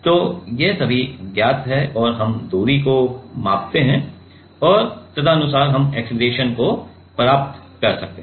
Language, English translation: Hindi, So, these terms are also all known and we measure the distance and accordingly, we can get the acceleration